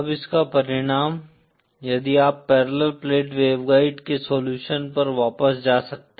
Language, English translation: Hindi, Now the consequence of this if you can go back to the solution for the parallel plate waveguide